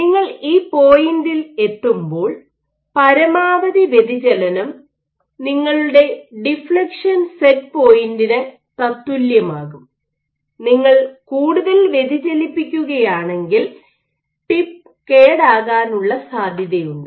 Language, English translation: Malayalam, You are coming at this point, this maximum point of deflection this is corresponding to your deflection set point, because if you deflect more there is a chance that your tip might be damaged